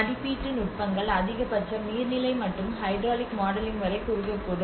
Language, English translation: Tamil, And assessment techniques: Maximum they might narrow down to hydrological and hydraulic modeling